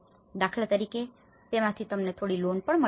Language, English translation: Gujarati, Like for instance, if you are getting some loan out of it